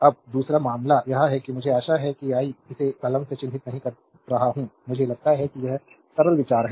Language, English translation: Hindi, Now, second case is, it is I hope I am not marking it by pen I think it is simple think